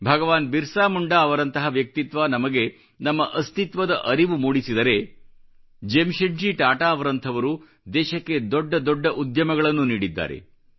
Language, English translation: Kannada, If the valourousBhagwanBirsaMunda made us aware of our existence & identity, farsightedJamsetji Tata created great institutions for the country